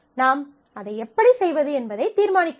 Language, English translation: Tamil, So, you have you have to decide, how you do that